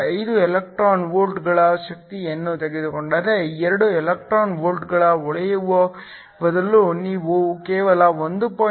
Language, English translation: Kannada, 5 electron volts, so instead of shining light of 2 electron volts you shine light of only 1